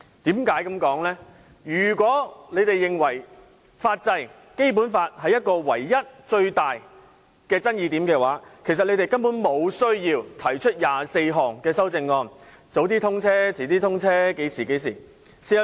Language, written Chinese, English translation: Cantonese, 如果他們認為最大爭議點在於法制及《基本法》有關條文，他們其實無需提出24項修正案，建議提早通車、延遲通車，諸如此類。, If they think the greatest controversy lies in legal arrangements and the relevant Basic Law provisions they actually need not put forth 24 amendments and proposals to advance or postpone the commissioning of XRL